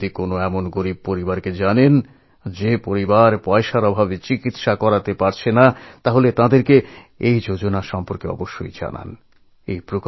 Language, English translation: Bengali, If you know a poor person who is unable to procure treatment due to lack of money, do inform him about this scheme